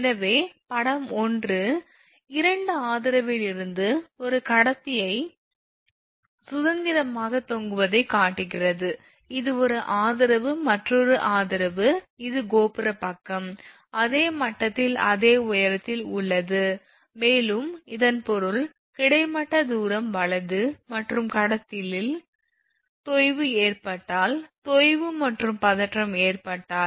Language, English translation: Tamil, So, figure one shows a conductor suspended freely from 2 support, this is one support this is another support a tower side right, which are at the same level that is same height same level, and I mean from this is a horizontal distance right, and if sag and tension if sag happens in conductor